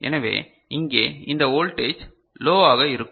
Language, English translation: Tamil, So, this voltage here will be low